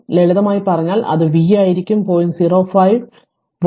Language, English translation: Malayalam, If you simply it will be v is equal 0